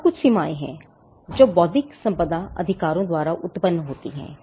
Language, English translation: Hindi, Now, there are certain limits that are posed by intellectual property rights